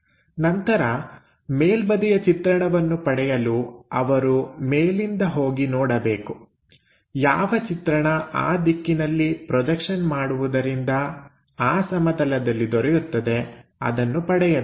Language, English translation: Kannada, Then, to look at top view, he has to go observe the from top side whatever this projection he is going to get onto that plane